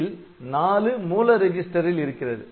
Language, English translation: Tamil, So, 4 is in the source register